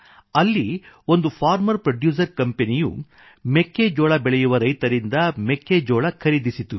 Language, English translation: Kannada, There, one farmer producer company procured corn from the corn producing harvesters